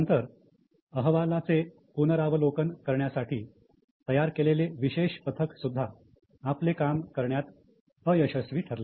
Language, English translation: Marathi, Now, special team of reviewing the reports also failed to perform their job